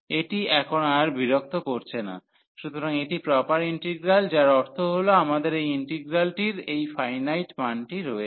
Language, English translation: Bengali, So, this is not bothering as now, so this is proper integral that means we have the value of this finite value of this integral